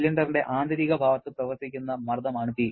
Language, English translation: Malayalam, P is the pressure that is acting on an inner side of the cylinder